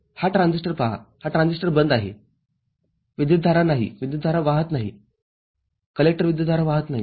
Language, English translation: Marathi, See this transistor this transistor is off, no current is, no IC current is flowing, no collector current is flowing